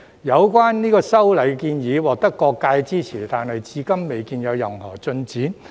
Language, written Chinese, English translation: Cantonese, 有關修例建議獲得各界支持，但至今未見任何進展。, The legislative amendment proposal is supported by various sectors but no progress has been made to date